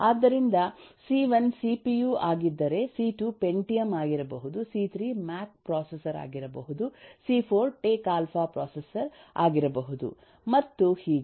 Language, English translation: Kannada, so if c1 is cpu, c2 could be pentium, c3 could be the mac processor, c4 could be the (())(10:15) and so on